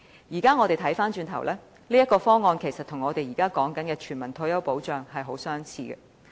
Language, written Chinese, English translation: Cantonese, 現在看來，這個方案其實與現時所說的全民退休保障很相似。, In retrospect there are great similarities between OPS and the universal retirement protection system currently under discussion